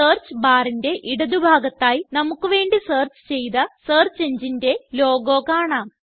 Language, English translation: Malayalam, On the left side of the Search bar, the logo of the search engine which has been used to bring up the results is seen